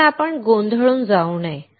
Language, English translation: Marathi, But let us not get confused